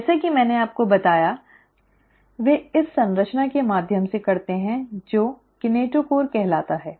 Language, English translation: Hindi, As I told you, they do that through this structure called as the kinetochore